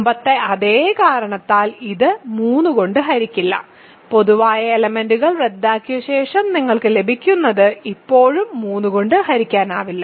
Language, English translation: Malayalam, So, here also denominator is bd which is not divisible by 3 and after cancelling common factors what you get is still not divisible by 3